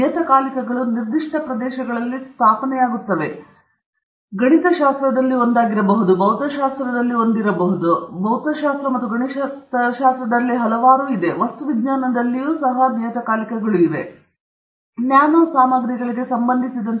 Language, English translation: Kannada, So, journals get established in specific areas; so, there could be one in mathematics, there could be one in physics, there could be several in physics, several in mathematics, several in material science, and even in material science, there may be something related to welding, there may be something related to nano materials and so on